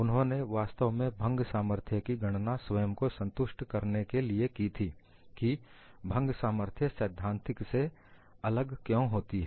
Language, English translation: Hindi, We have actually calculated the fracture strength to convince our self why the theoretical strength is different from the fracture strength